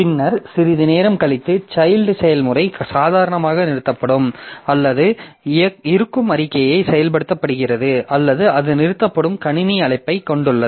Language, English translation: Tamil, And then after some time the child process either terminates normally or it executes an exit statement or exit system call by which it terminates